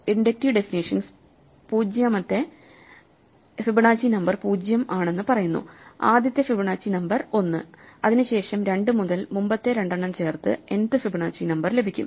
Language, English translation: Malayalam, The inductive definition says that 0th Fibonacci number is 0; the first Fibonacci number is 1; and after that for two onwards, the nth Fibonacci number is obtained by sub adding the previous two